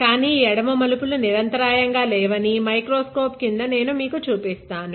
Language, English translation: Telugu, But I will show you under the microscope that these left turns are not continuous left or right turns are not continuous